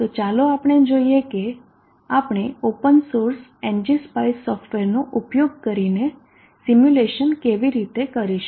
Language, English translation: Gujarati, So all this let us see how we go about doing in simulation using the open source ng spice software